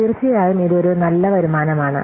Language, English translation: Malayalam, So, of course, it is a good return